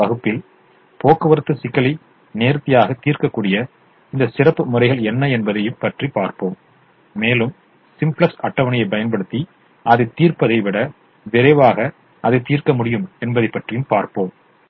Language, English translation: Tamil, in the next class we will look at what are these special methods which can solve the transportation problem nicely and solve it fast, faster than perhaps solving it using the simplex table